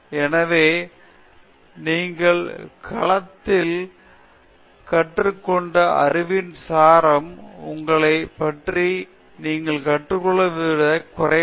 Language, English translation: Tamil, So, he always says the body of knowledge that you learn in the field is lesser than what you learn about yourself